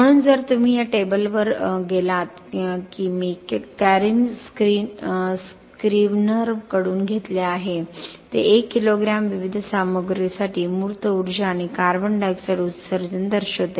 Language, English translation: Marathi, So if you go to this table that I have borrowed from Karen Scrivener it shows the embodied energy and the carbon dioxide emission for 1 kilogram of different materials